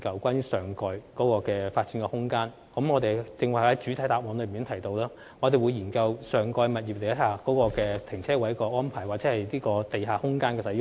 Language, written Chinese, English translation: Cantonese, 正如我剛才在主體答覆中提及，我們會研究上蓋空間的泊車位安排及地下空間的使用。, As I mentioned in my main reply earlier on we will explore parking space arrangements at the topside development and the uses of the underground space